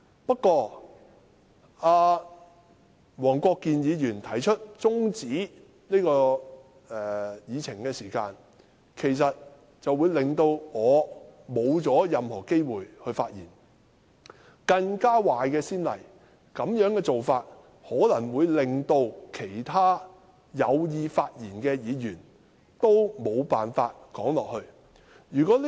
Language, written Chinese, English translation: Cantonese, 不過，黃國健議員提出中止待續議案，其實會令我失去發言的機會，這種做法可能會令其他有意發言的議員也無法發言。, Unfortunately Mr WONG Kwok - kin moved an adjournment motion depriving me of the chance to speak . He may also bar other Members who wish to speak from speaking